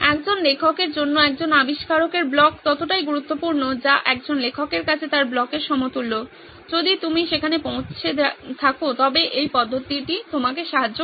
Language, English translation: Bengali, What is equivalent of a writer’s block for an author, for a writer is an inventor’s block if you have reached that then this method will help you